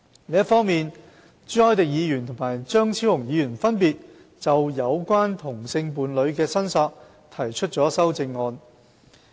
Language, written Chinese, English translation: Cantonese, 另一方面，朱凱廸議員和張超雄議員分別就有關同性伴侶的申索提出了修正案。, On the other hand Mr CHU Hoi - dick and Dr Fernando CHEUNG have proposed amendments respectively in relation to claims by same - sex partners